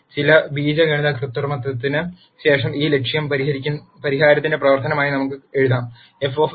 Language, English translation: Malayalam, After some algebraic manipulation we can write this objective as a function of the solution f of x